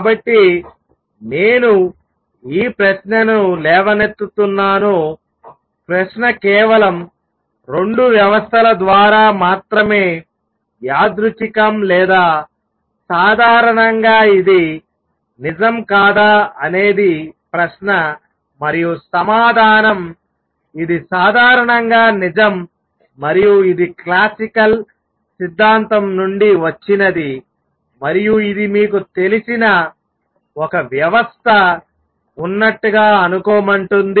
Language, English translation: Telugu, So, let me raise this question; question is the observation is through only 2 systems a coincidence or is it true in general that is the question and the answer is this is true in general and this comes from the classical theory which says suppose there is a system of you know I have considered 2 systems